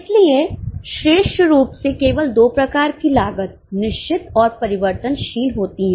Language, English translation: Hindi, So, classically speaking, there are only two types of costs, fixed and variable